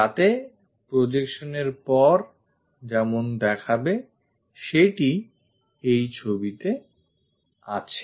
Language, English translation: Bengali, So, it looks like after projection we will have this picture